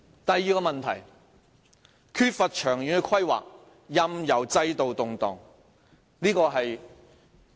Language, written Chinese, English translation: Cantonese, 第二個問題，是缺乏長遠規劃，任由制度動盪。, The second problem is the lack of long - term planning thus allowing the system to fluctuate